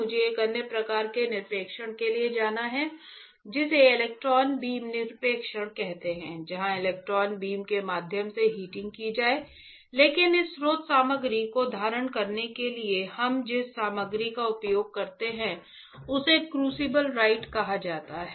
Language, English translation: Hindi, I have to go for another kind of deposition which is call electron beam deposition where the heating would be done through the electron beam, but this the material that we use at the bottom to hold the to hold this source material is called crucible right